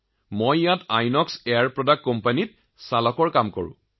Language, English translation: Assamese, I am here at Inox Air Products as a driver